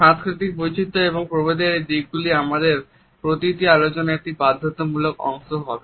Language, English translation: Bengali, These aspects of cultural variations and differences would be a compulsory part of each of our discussion